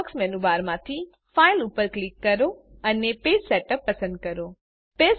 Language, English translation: Gujarati, From the Firefox menu bar, click File and select Page Setup